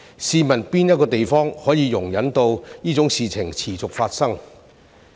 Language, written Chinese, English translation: Cantonese, 試問哪一個地方可以容忍這種事情持續發生？, Which place can tolerate the continuation of such a situation?